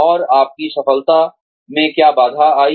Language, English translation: Hindi, And, what impeded your success